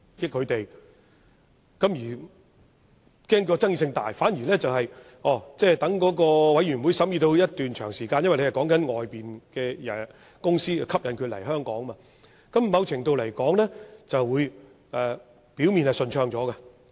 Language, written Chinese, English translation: Cantonese, 由於政府恐怕爭議性大，反而待法案委員會審議一段長時間後，因為所討論的是吸引外面的公司來港，某程度來說，表面會較順暢。, To avoid provoking bitter controversy the Government has decided to introduce the proposal at a later stage . As the major discussion of the Bills Committee was the measures to attract overseas companies to Hong Kong it went quite smoothly on the surface